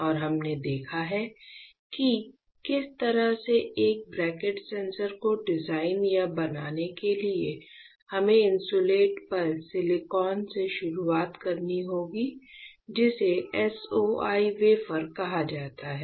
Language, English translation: Hindi, We have seen that for designing or fabricating such a sensor such a cantilever; we need to start with Silicon on Insulator that is called SOI wafer right